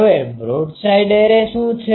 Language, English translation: Gujarati, Now what is a broadside array